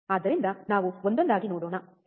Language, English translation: Kannada, So, let us see one by one, alright